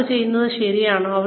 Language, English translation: Malayalam, Are they doing it right